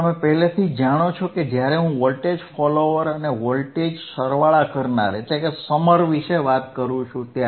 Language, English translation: Gujarati, Now, you already know when I talk about voltage follower